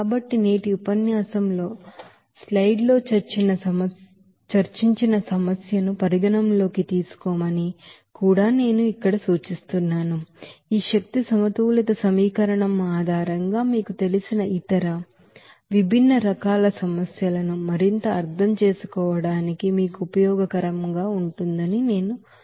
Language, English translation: Telugu, So I also here suggest to consider the problem whatever discussed in the slides today’s lecture, to practice again and again so that it will be you know that useful for you to further understand the solving of other you know, other different types of problems based on this energy balance equation